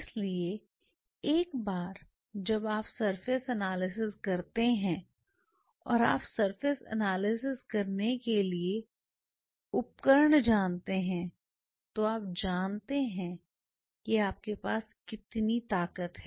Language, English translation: Hindi, So, once you analyse the surface or you know the tools to analyse a surface you know how much power you have now really to approach to a problem